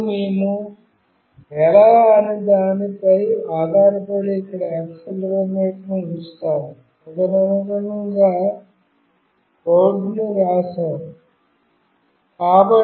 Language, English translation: Telugu, And depending on how we have put the accelerometer here, we have written the code accordingly